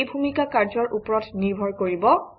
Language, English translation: Assamese, This role depends on the activity